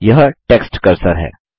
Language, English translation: Hindi, This is the text cursor